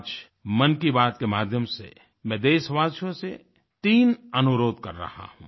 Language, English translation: Hindi, Today, through the 'Mann Ki Baat' programme, I am entreating 3 requests to the fellow countrymen